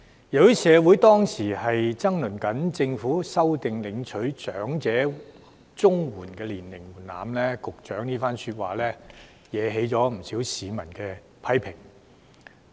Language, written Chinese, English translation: Cantonese, 由於社會當時爭論政府修訂領取長者綜援的年齡門檻，局長這番說話惹來不少市民的批評。, As society was arguing over the Governments amendment of the eligible age for elderly Comprehensive Social Security Assistance the Secretarys remark attracted considerable criticism from the public